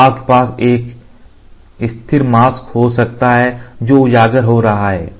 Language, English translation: Hindi, So, this mask you can have a static mask static mask which is getting exposed